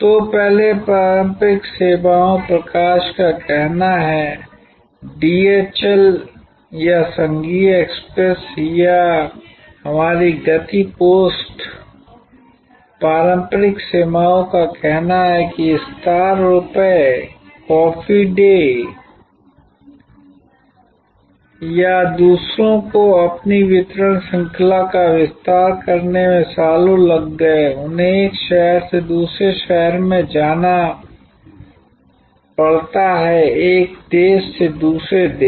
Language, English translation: Hindi, So, earlier traditional services light say DHL or federal express or our speed post, traditional services likes say star bucks, coffee cafe day or others took years to expand their distribution chain took years they had to go from one city to the other city, go from one country to the other country